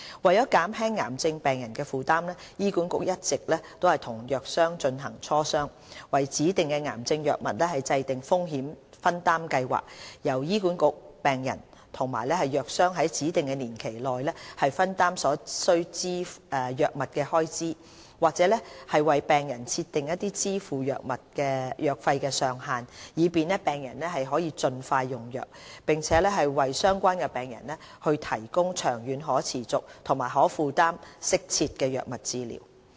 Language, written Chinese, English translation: Cantonese, 為減輕癌症病人的負擔，醫管局一直與藥商進行磋商，為指定的癌症藥物制訂風險分擔計劃，由醫管局、病人與藥商在指定年期內分擔所需的藥物開支，或為病人設定支付藥費的上限，以便病人得以盡快用藥，並為相關病人提供長遠可持續、可負擔和適切的藥物治療。, To alleviate the financial burden on cancer patients HA has been in close liaison with pharmaceutical companies on the setting up of risk sharing programmes for specific cancer drugs . Under the programmes HA patients and pharmaceutical companies will contribute to the drug costs in specific proportions within a defined period or the drug treatment costs to be borne by patients will be capped . The aim is to facilitate patients early access to drug treatments and provide the patients with sustainable affordable and optimal drug treatments in the long term